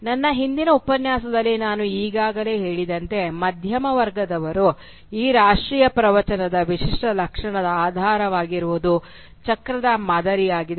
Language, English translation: Kannada, Now as I have already said in my previous lecture, that one of the characteristic features of this national discourse that the middle class came up with was an underlying cyclical pattern